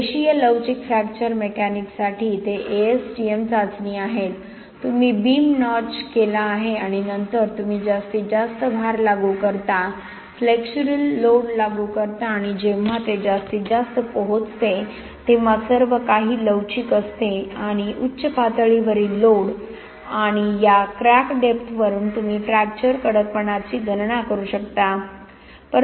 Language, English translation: Marathi, For linearly elastic fracture mechanics they are ASTM test, you have notched beam and then you apply the maximum load, apply the flexural load and when it reaches maximum everything is elastic and from the peak load and this crack depth, you can calculate fracture toughness, but a lot of work has been done and it turns out that fracture toughness concrete is not quite brittle, we call it quasi brittle